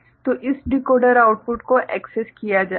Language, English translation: Hindi, So, this decoder output will be accessed ok